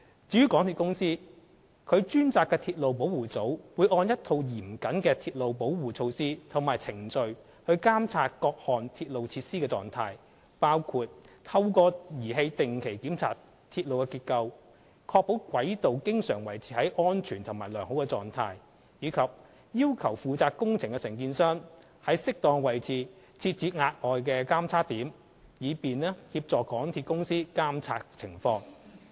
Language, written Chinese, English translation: Cantonese, 至於港鐵公司，其專責的鐵路保護組會按一套嚴謹的鐵路保護措施及程序監測各項鐵路設施的狀態，包括透過儀器定期檢查鐵路結構，確保軌道經常維持在安全及良好狀態，以及要求負責工程的承建商於適當位置設置額外的監測點，以便協助港鐵公司監察情況。, As for MTRCL its dedicated railway protection team will monitor the status of various railway facilities in accordance with a set of stringent railway protection measures and procedures including regular machinery inspection of railway structures to ensure that the track is always maintained in a safe and good condition . The contractor responsible for the building works will also be required to set up additional monitoring checkpoints at appropriate locations to assist MTRCL to monitor the situation